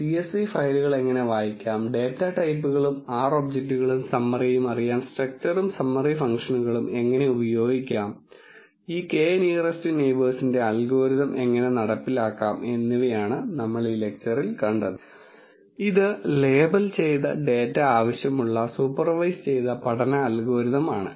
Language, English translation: Malayalam, In summary what we have seen in this lecture is how to read the dot csv files, how to use the structure and summary functions to know the data types and the summary of R objects and how to implement this K nearest neighbours algorithm, which is a supervised learning algorithm which needs labelled data